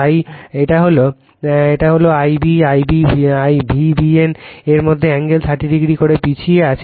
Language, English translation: Bengali, So, so this is your , this is your I b , right; I b also lags from V b n by angle 30 degree